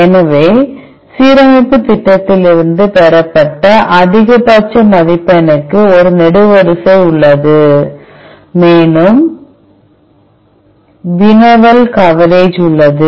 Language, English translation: Tamil, So, there is a column for maximal score which is obtained from the alignment program, and there is a querry coverage